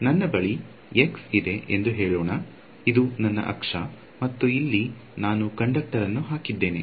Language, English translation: Kannada, So, what do I mean by a line charge is let say that I have x, this is my axis and over here I have put a conductor